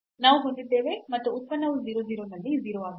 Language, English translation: Kannada, So, we have and the function is also 0 at 0 0